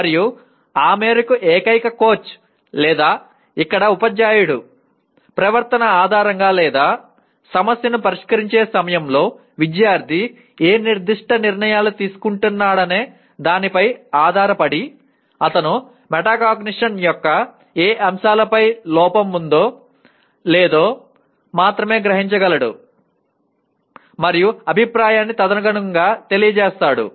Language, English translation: Telugu, And to that extent the only coach or here the teacher based on the behavior or actually based on what specific decisions the student is making at the time of solving the problem he only can guess whether to on what aspects of metacognition he is deficient and give feedback accordingly